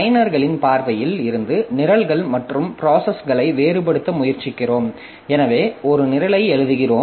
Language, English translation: Tamil, So, we try to differentiate between programs and processes like from a user's perspective, so we are writing one program